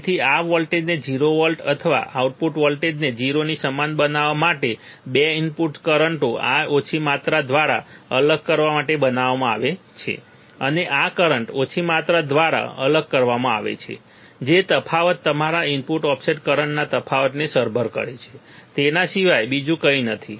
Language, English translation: Gujarati, So, make this voltage 0 to make this voltage output voltage equal to 0 right the 2 input currents are made to differ by small amount this current and this current are made to different by small amount that difference is nothing, but my input offset current difference is nothing, but input offset